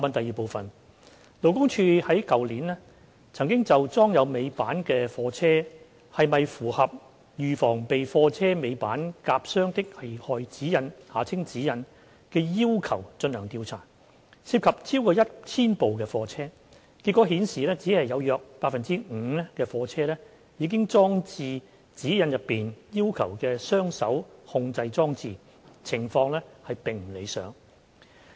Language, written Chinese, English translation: Cantonese, 二勞工處去年曾就裝有尾板的貨車是否符合《預防被貨車尾板夾傷的危害安全指引》的要求進行調查，涉及超過 1,000 部貨車，結果顯示只有約 5% 的貨車已裝置《指引》內要求的雙手控制裝置，情況並不理想。, 2 Last year LD conducted a survey on the compliance of goods vehicles with tail lifts with the Guidance Notes on Prevention of Trapping Hazard of Tail Lifts GN . Over 1 000 goods vehicles were sampled for the study and the findings revealed that only about 5 % of the goods vehicles were installed with the two - hand control device as required in GN